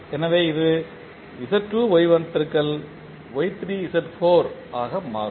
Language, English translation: Tamil, So, this will become Z2 Y1 into Y3 Z4